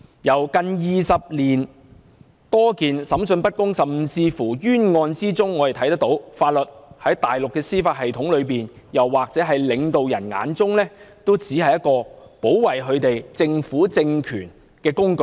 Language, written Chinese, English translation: Cantonese, 從近20年多宗審訊不公的案件和冤案中可見，法律在大陸的司法系統中，又或在領導人眼中，只是保護政權的工具。, For 20 years there have been unfair and unjust cases showing that under the Mainlands judicial system and in the eyes of its leaders the law is merely there to protect the ruling regime